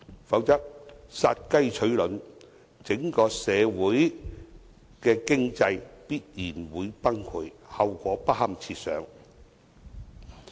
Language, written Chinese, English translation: Cantonese, 否則，殺雞取卵，整體社會的經濟必然會崩潰，後果不堪設想。, Otherwise it will be similar to killing the goose that lays the golden egg and the entire economy will definitely be collapsed . The result would be catastrophic